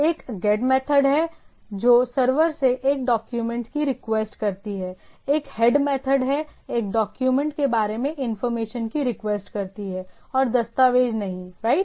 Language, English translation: Hindi, One is say GET method, which request a document from the server, there is a HEAD method, requests information about a document but not the document itself right